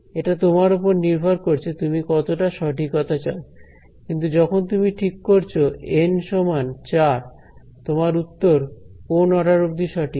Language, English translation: Bengali, It is in your hand how much accuracy you want, but when you choose N equal to 4 your answer is accurate to what order